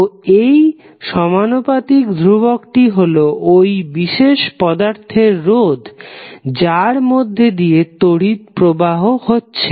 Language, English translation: Bengali, So, this proportionality constant was the resistance of that element through which the current is flowing